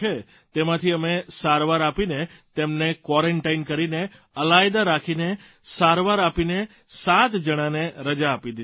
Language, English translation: Gujarati, And out of those 16 cases, after due quarantine, isolation and treatment, 7 patients have been discharged Sir